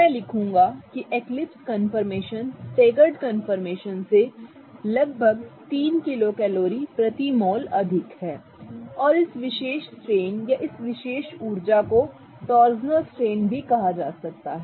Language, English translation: Hindi, So, I will write that this eclipsed one is around 3 kilo calories per mole more than the staggered form and this particular strain or this particular energy is also called as torsional strain